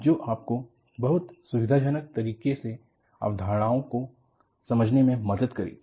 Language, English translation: Hindi, That will help you, to understand the concepts in a very convenient fashion